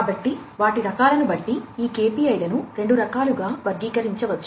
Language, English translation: Telugu, So, these KPIs based on their types can be categorized into two types